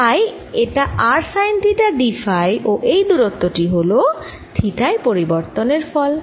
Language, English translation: Bengali, so this is going to be r sine theta d phi and this distance is going to be due to change in theta, so this is going to be r d theta